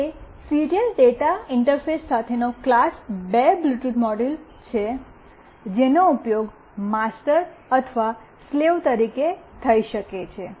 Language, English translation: Gujarati, It is a class 2 Bluetooth module with serial data interface that can be used as either master or slave